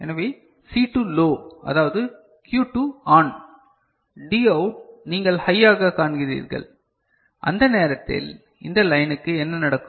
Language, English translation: Tamil, So, C2 low that is Q1 ON so, Dout you see as high and at the time what will happen to this line